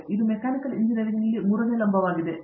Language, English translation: Kannada, So, that is the third vertical in Mechanical Engineering